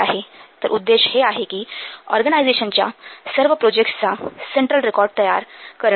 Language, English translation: Marathi, So the objective here is to create a central record of all projects within an organization